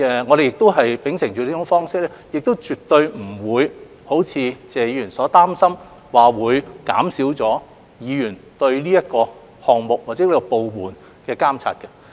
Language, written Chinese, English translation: Cantonese, 我們秉承這種既有的方式，絕不會如謝議員所擔心般會減少議員對這個項目或部門的監察。, This has been an established practice so we adhere to it and it will not undermine the monitoring by Members of the project or the department concerned as what Mr TSE is worried about